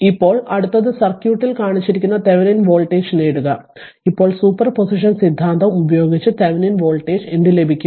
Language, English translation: Malayalam, So, now next one is you obtain the Thevenin voltage shown in the circuit of this thing, now what to what Thevenin voltage also you can obtain by using super position theorem